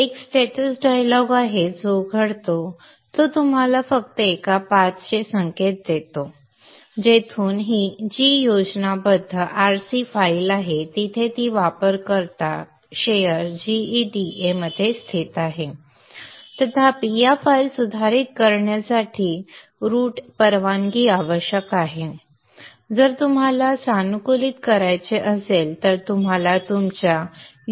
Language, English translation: Marathi, There is a status dialogue which opens, which just gives you an indication of the paths which from where it takes this is the G schematic RC file G GFC file where it is located is located in user share GEDA however these are in the this need route permission to modify these files however if you want to, you need to have a copy of these files in your user